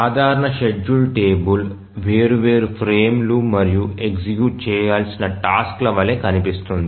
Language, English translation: Telugu, So, typical schedule table would look like the different frames and the tasks that are to be executed